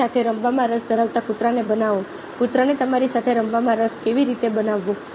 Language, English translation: Gujarati, how to make a dog interested in playing with you